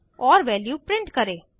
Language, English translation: Hindi, And print the value